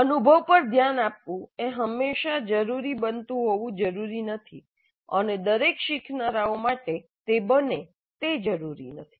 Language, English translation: Gujarati, Reflecting on the experience need not necessarily happen always and need not be the case for every learner